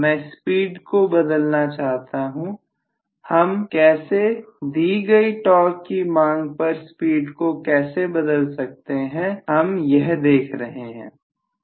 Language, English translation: Hindi, I want to change the speed, how do I change the speed at a constant torque demand